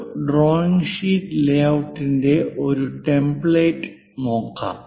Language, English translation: Malayalam, Let us look at a template of a drawing sheet layout